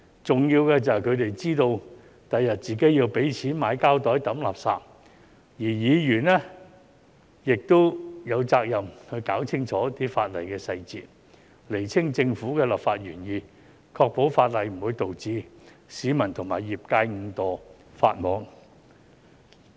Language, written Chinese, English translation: Cantonese, 重要的是，他們知道日後自己要付錢買膠袋掉垃圾，而議員有責任弄清楚法例細節，釐清政府的立法原意，確保法例不會導致市民和業界誤墮法網。, Most importantly they should know that they have to purchase garbage bags in the future while Members have a responsibility to clarify the details of the law and the Governments legislative intent in order to ensure that the legislation will not lead to inadvertent violations of the law by members of the public and the industry